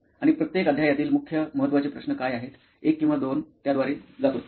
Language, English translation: Marathi, And what is the main important questions from each chapter, 1 or 2, just go through that